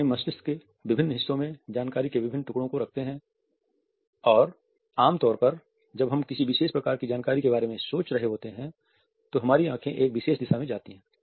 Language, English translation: Hindi, We hold different pieces of information in different parts of our brain and usually when we are thinking about a particular type of information our eyes will go in one particular direction